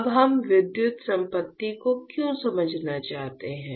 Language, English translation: Hindi, Now, why we want to understand electrical property